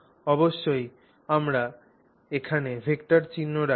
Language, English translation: Bengali, Of course we put the vector simple here